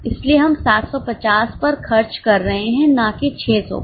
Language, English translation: Hindi, So, we are spending on 750 not on 600